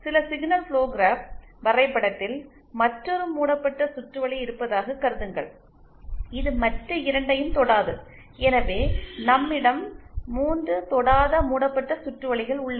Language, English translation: Tamil, And then say there is another loop in some signal flow graphs diagram which also does not the other 2, so we have 3 non touching loops